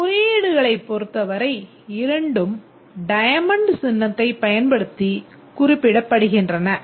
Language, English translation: Tamil, With respect to the representation, both are represented using diamond symbol